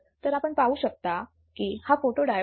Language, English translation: Marathi, So, this is a photodiode as you can see